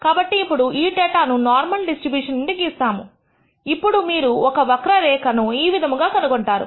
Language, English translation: Telugu, So now, if this data has been drawn from the normal distribution then you should find a curve like this